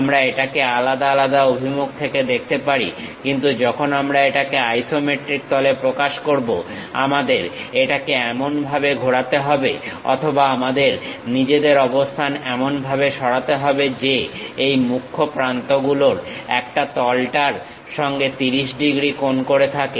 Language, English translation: Bengali, We can view it in different directions; but when we are representing it in isometric plane, we have to rotate in such a way that or we have to shift our position in such a way that, one of these principal edges makes 30 degrees angle with the plane, that is the way we have to represent any isometric projections